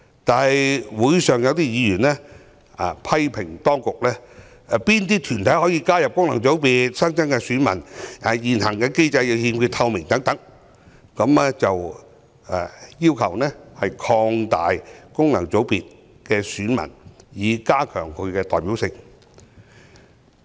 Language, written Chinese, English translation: Cantonese, 但會上有委員批評當局，對哪些團體可以加入功能界別、新增選民的身份提出質疑，指現行機制欠缺透明，又要求擴大功能界別的選民基礎，以加強其代表性。, At the meetings some members criticized the Government and queried the criteria for including bodies in FCs and the identity of new electors . They pointed out that the present mechanism lacked transparency and demanded the expansion of the electorate of FCs to enhance their representativeness